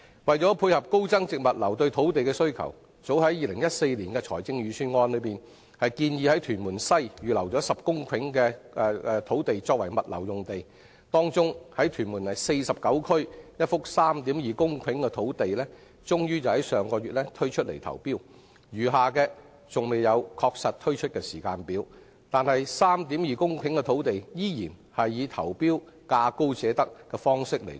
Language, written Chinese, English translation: Cantonese, 為配合高增值物流業對土地的需求，政府早於2014年的財政預算案中，便建議在屯門西預留10公頃土地作為物流用地，當中屯門第49區一幅 3.2 公頃的土地終於在上月招標，餘下的尚未確定推出的時間表；而該幅 3.2 公頃土地，依然是以價高者得的方式投標。, To meet the land demand of the high value - added logistics industry the Government had in the 2014 Budget proposed to reserve 10 hectares of land at Tuen Mun West for logistics use . Among the land reserved a 3.2 hectare site in Tuen Mun Area 49 finally invited tenders last month but no timetable has been set for the remaining sites . Yet the 3.2 hectare site will still be awarded to the bidder offering the highest bid